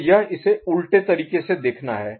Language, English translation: Hindi, So, this is looking at it from the reverse direction right